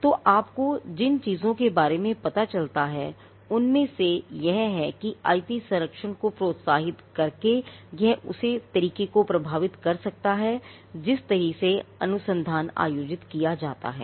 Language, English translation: Hindi, So, one of the things you will find is that by incentivizing IP protection there it could influence the way in which research is conducted